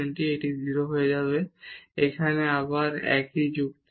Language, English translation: Bengali, So, this will go to 0 and here again the same argument